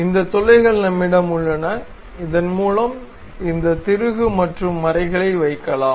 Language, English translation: Tamil, So, we have these holes through which we can really put these bolts and nuts